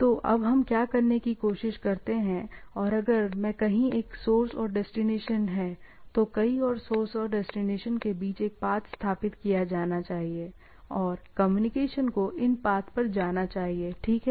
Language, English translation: Hindi, So, what we try to do now, the if there is a source and the destination of somewhere in the network, then somewhere other a path should be established between the source and destination, and the communication should go on into the these paths, right